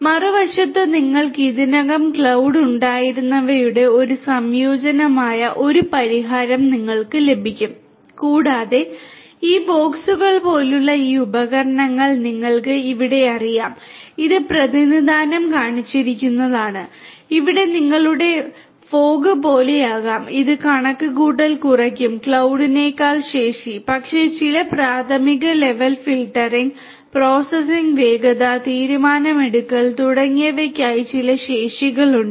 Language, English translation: Malayalam, On the other hand you could have a solution which is a combination of your whatever you already had the cloud and some kind of you know these devices like these boxes over here which are representationally shown, which will be like your you know fog which will have reduced capacities computational capacities then the cloud, but have certain capacities for doing some preliminary level filtering, processing, faster, you know decision making and so on right